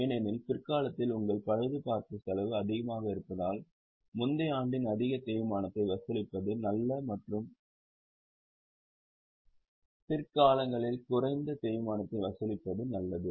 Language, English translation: Tamil, Over a period of time, it falls because in the latter years your repair expense is high, it is good to charge more depreciation in the earlier year and charge lesser depreciation in the later year